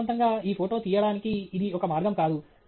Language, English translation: Telugu, Ideally, this is not a way to take this photograph